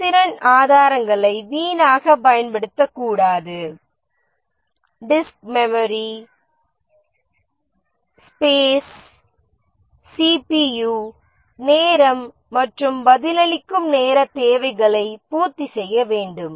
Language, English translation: Tamil, Efficiency, it should not make wasteful use of resources, for example, disk, memory space, CPU time and should satisfy the response time requirements